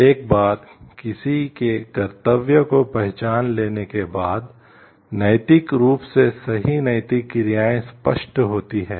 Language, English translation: Hindi, Once one’s duties are recognized, the ethically correct moral actions are obvious